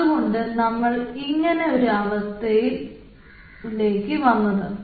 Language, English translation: Malayalam, so that's why we came up with this thing